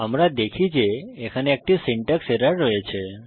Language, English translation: Bengali, we see that, there is a syntax error